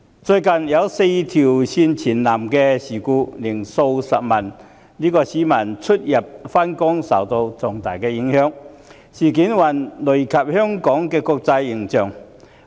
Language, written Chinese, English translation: Cantonese, 最近"四線全倒"的事故令數十萬名市民在出行及上下班時受到重大影響，累及香港的國際形象。, Due to the recent simultaneous breakdown of four rail lines hundreds of thousands of people were seriously affected during their trips and the commuting hours and Hong Kongs international image has likewise been tarnished